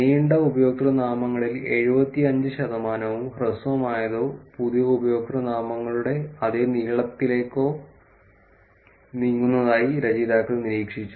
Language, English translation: Malayalam, Authors observed that 75 percent of long usernames moved to short or the same length new usernames